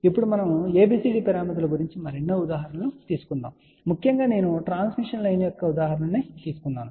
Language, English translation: Telugu, Now, we are going to take many many more examples later on about ABCD parameters especially just to mention that I did take an example of transmission line